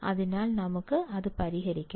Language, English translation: Malayalam, So, let us solve it